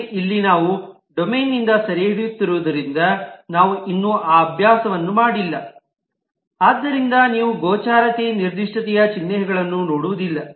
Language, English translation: Kannada, but here, since we are just capturing from the domain, we have not yet done that exercise, so you do not see the visibility specification symbols